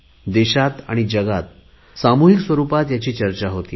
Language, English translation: Marathi, These are discussed collectively in the country and across the world